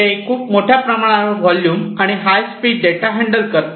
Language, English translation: Marathi, So, they handle large volumes of data coming in high speeds, right